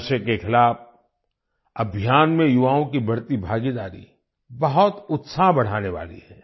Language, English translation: Hindi, The increasing participation of youth in the campaign against drug abuse is very encouraging